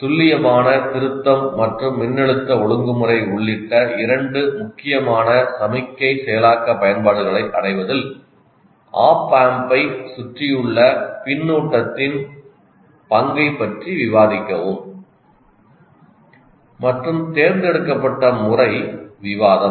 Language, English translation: Tamil, So, discuss the role of the feedback around an appamp in achieving two important signal processing applications including precision rectification and voltage regulation and the mode shall produce discussion